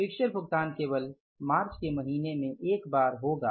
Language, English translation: Hindi, Fixtures payment will be once only in the month of March